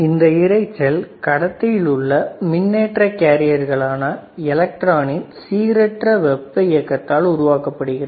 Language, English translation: Tamil, So, this noise is generated by random thermal motion of charge carriers usually electrons inside an electrical conductor